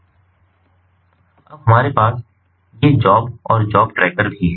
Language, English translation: Hindi, now we also have these job and job trackers